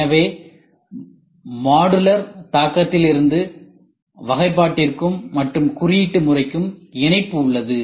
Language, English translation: Tamil, So, from modular impact there is a connect to the classification and coding also this is phase I